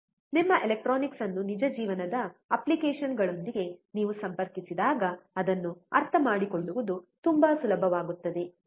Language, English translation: Kannada, When you connect your electronics with real life applications, it becomes extremely easy to understand